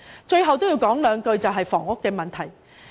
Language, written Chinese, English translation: Cantonese, 最後要談談房屋問題。, Finally I would like to talk about the housing problem